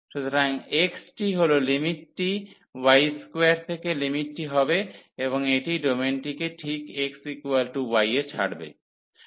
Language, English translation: Bengali, So, the x is the limit will be from y square to and this is leaving the domain exactly at x is equal to y